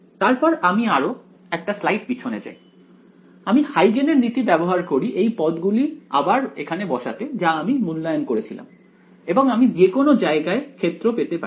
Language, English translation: Bengali, Then I go back even 1 more slide I use Huygens principle to put back these terms which I have evaluated and I can find the field everywhere